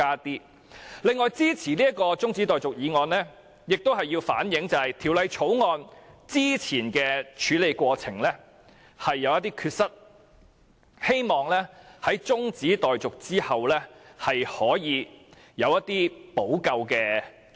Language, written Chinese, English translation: Cantonese, 此外，我支持中止待續議案，藉此反映《條例草案》早前的處理過程有缺失，希望在中止待續後可以有措施補救。, In addition I support the adjournment motion so as to reflect the deficiency with regard to the earlier handling of the Bill and I hope that measures will be implemented to remedy the situation after the adjournment